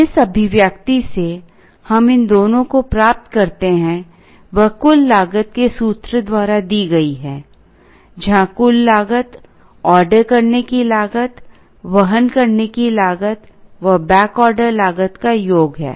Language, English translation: Hindi, The expression from which we derived these two is given by total cost is equal to ordering cost plus inventory carrying cost plus back order cost